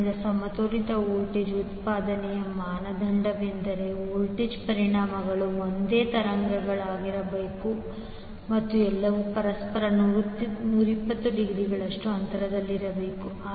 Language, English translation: Kannada, So, the criteria for balanced voltage output is that the voltage magnitudes should be same frequency should be same and all should be 120 degree apart from each other